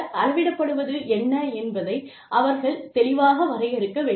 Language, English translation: Tamil, They should clearly define, what is being measured